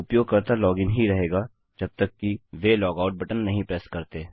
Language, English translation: Hindi, Since were using sessions, the user will remain logged in until they press the logout button